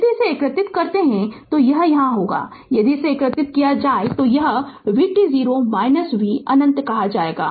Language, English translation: Hindi, If you integrate this, it will be if you integrate this one, it will be v t 0 minus say v minus infinity